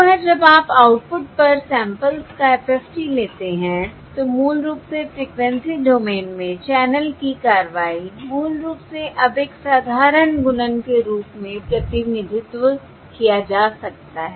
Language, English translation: Hindi, So once you take the FFT of the samples at the output, basically the action of the channel in the frequency domain, basically now can be represented as a simple multiplication